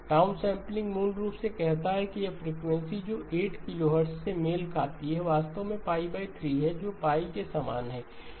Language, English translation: Hindi, Downsampling basically says that this frequency which corresponds to 8 kilohertz which is actually the pi by 3, pi by 3 will become the same as pi okay